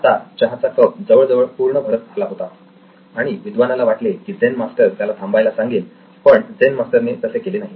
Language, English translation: Marathi, The tea cup was slowly filling up little by little and it reached the end and the scholar thought that the Zen Master would ask him to stop but he didn’t